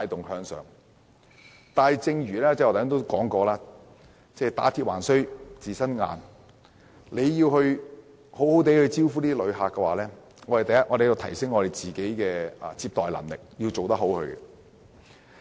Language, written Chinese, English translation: Cantonese, 但是，正如我剛才說："打鐵還需自身硬"，要好好接待旅客，我們首先要提升自己的接待能力。, However you need a strong hammer to forge steel as I said just now . We cannot receive tourists properly without first upgrading our capability and capacity of receiving visitors